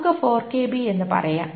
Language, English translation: Malayalam, Let us say it's 4 kilobytes